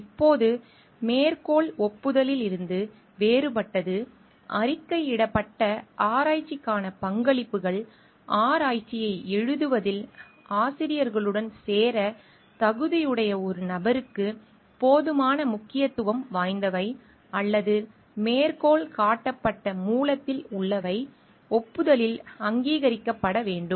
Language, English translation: Tamil, Now, how citation is different from acknowledgement, contributions to the reported research that is sufficiently significant to qualify a person to join the authors in writing up the research nor contained in citable source should be recognized in acknowledgements